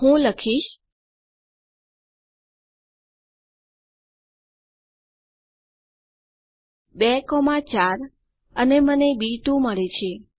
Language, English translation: Gujarati, I can type in 2,4 and I get b 2